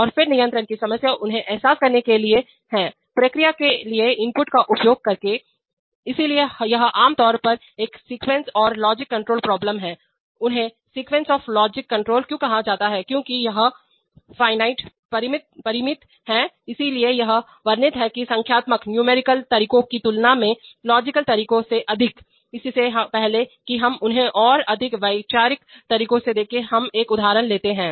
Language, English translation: Hindi, And then the problem of control is to realize them, by exercising the inputs to the process, so this is typically a sequence or logic control problem, why they are called sequence of logic control because it is a finite state thing, so it is described more by logical methods than by numerical methods, before we look at them in more conceptual ways let us take an example